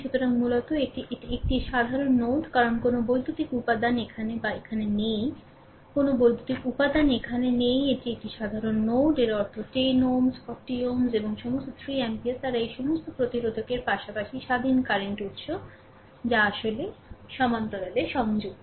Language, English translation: Bengali, So, basically this is a this is a common node because no electrical element is here or here, no electrical element is here, it is a common node; that means, 10 ohm, 40 ohm and all 3 ampere, they all these all these resistors as well as the independent current source all actually connected in parallel, right